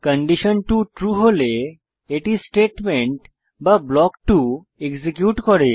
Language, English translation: Bengali, If condition 2 is true, it executes statement or block 2